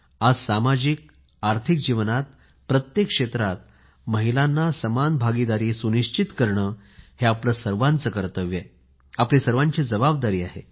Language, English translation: Marathi, Today, it is our duty to ensure the participation of women in every field of life, be it social or economic life, it is our fundamental duty